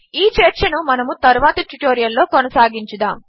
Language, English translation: Telugu, We will continue this discussion in the next tutorial